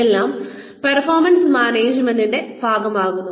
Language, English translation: Malayalam, Everything is, becomes a part of the performance management